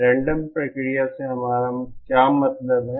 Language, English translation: Hindi, What do we mean by random process